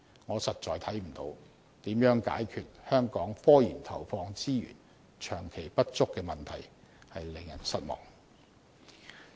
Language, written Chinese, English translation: Cantonese, 我實在看不到如何能解決香港科研投放資源長期不足的問題，令人失望。, I really cannot see how the Administration can solve the long - standing problem of insufficient allocation of resources to Hong Kongs scientific research sector . That is really disappointing